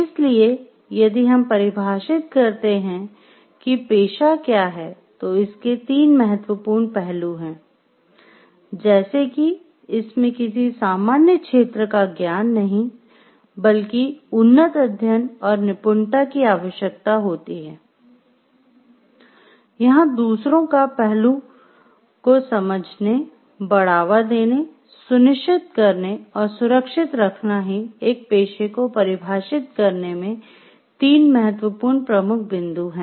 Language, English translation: Hindi, So, if we define what is a profession, it has three important aspects like, it requires advanced study and mastery not in any general field of knowledge, but in a specialized body of knowledge and also to undertake, to promote, ensure, or safeguard some aspect of others well being are the three important key points in defining what is a profession